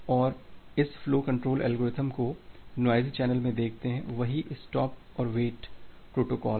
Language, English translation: Hindi, Now, let us look into this flow control algorithm in a noisy channel, the same Stop and Wait protocol